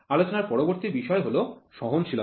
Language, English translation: Bengali, The next topic of discussion is tolerance